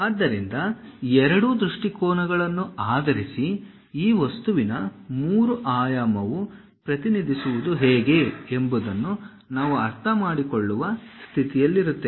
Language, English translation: Kannada, So, based on both the views only, we will be in a position to understand how the three dimensional projection of this object